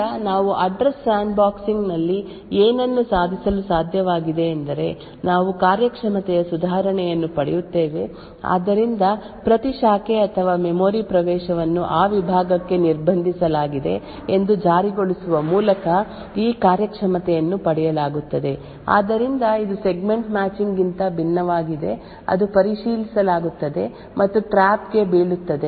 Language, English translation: Kannada, So what we were able to achieve in Address Sandboxing is that we get a performance improvement so this performance is obtained by enforcing that every branch or memory access is restricted to that segment, so this is very much unlike the Segment Matching which checks and traps